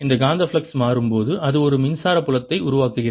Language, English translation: Tamil, as the magnetic flux changes it produces an electric field going around